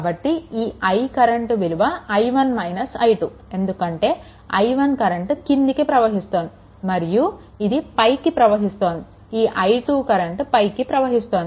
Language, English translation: Telugu, So, I is equal to actually this i 1 it is actually i 1 minus i 2 because i 1 is coming downwards and this is going upward this i 2 is going upwards